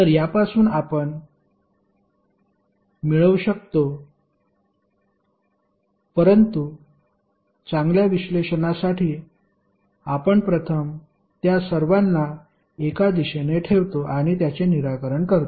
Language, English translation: Marathi, So from this you can get but for better analysis we first keep all of them in one direction and solve it